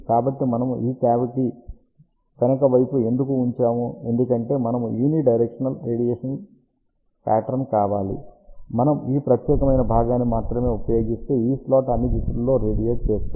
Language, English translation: Telugu, So, why we have put this cavity at the back side, because we wanted a unidirectional radiation pattern, if we use only this particular portion, then slot will radiate in all the directions like this ok